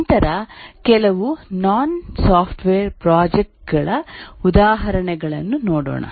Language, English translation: Kannada, But then let's look at some non software examples of projects